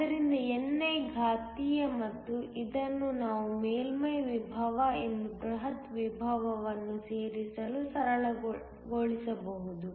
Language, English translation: Kannada, So, ni exponential and this we can simplify to include the surface potential and the bulk potential